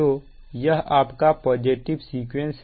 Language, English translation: Hindi, this is your positive sequence